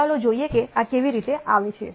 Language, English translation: Gujarati, Let us see how this comes about